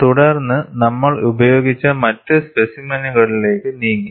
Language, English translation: Malayalam, Then we moved on to other forms of specimens that are used